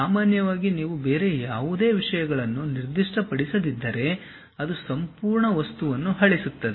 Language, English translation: Kannada, Usually if you are not specifying any other things, it deletes entire object